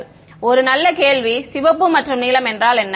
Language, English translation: Tamil, A good question what is the red and blue